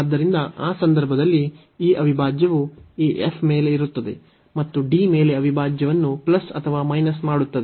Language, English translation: Kannada, So, in that case this integral will be over this f and plus or minus the integral over D